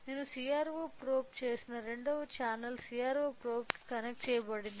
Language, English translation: Telugu, So, what I have done the CRO probe second channel CRO probe is connected to this